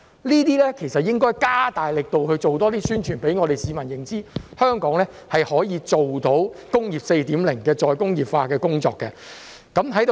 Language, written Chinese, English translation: Cantonese, 這些應該加大力度多做宣傳，讓市民認知香港可以做到"工業 4.0" 的再工業化工作。, The authorities should step up publicity in these areas to let the public know that Hong Kong can achieve the Industry 4.0 re - industrialization work